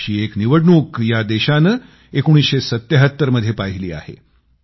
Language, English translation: Marathi, And the country had witnessed one such Election in '77